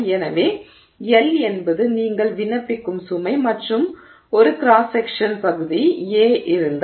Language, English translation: Tamil, So, L is the load you are applying and if there is a cross sectional area A, then the stress that you are applying is L by A